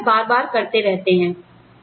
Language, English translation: Hindi, And, you keep doing it, again and again and again